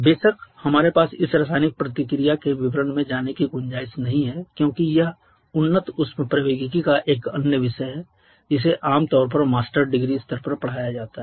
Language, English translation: Hindi, Of course we do not have the scope of going to the details of this chemical reaction because that is an earlier topic of advanced thermodynamics which is commonly taught at the master degree level